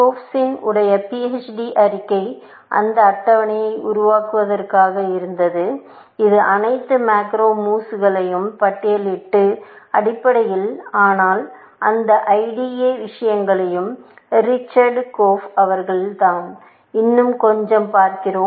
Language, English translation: Tamil, Korf’s PHD thesis was to build that table, which listed all the macro moves, essentially, But this IDA stuff is also by Richard Korf, and we see a bit more of